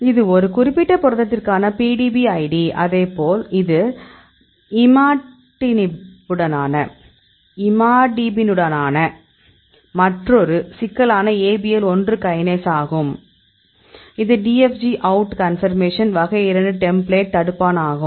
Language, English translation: Tamil, So, this is the PDB id for that particular protein; likewise this is another complex ABL 1 Kinase with Imatinib, this is a type 2 inhibitor; this is in DFG out conformation, this is the template